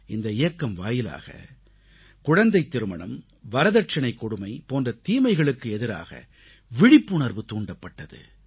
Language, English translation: Tamil, This campaign made people aware of social maladies such as childmarriage and the dowry system